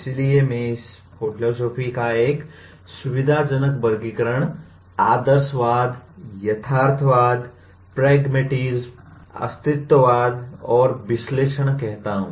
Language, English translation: Hindi, So I call it one convenient classification of philosophy is idealism, realism, pragmatism, existentialism, and analysis